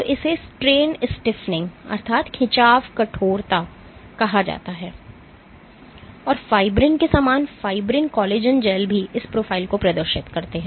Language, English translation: Hindi, So, this is called strain stiffening, this is called strain stiffening and for fibrin similar to fibrin collagen gels also have been shown to exhibit this profile